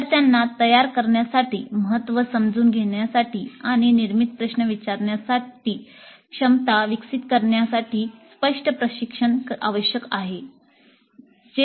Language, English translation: Marathi, Explicit training is required to make the students understand the importance and develop the capability to ask the generative questions